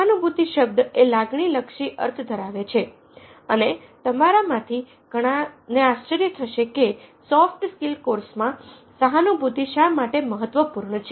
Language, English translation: Gujarati, the term empathy has a a emotion oriented conversation and many of you might be wondering why is it that in a soft skills course, empathy significant will talk about that